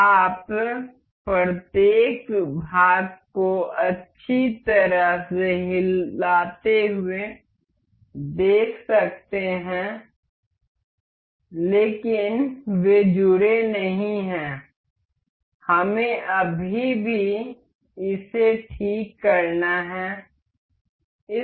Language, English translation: Hindi, You can see each of the parts nicely moving, but they are not connected to each other, we have still got to fix this